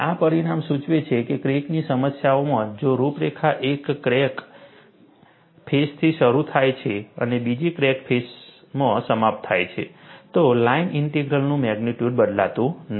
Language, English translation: Gujarati, This result implies that, in crack problems, if a contour starts from one crack face and ends in another crack face, the magnitude of the line integral does not change